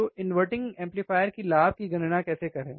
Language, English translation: Hindi, So, how to perform or how to calculate the gain of an inverting amplifier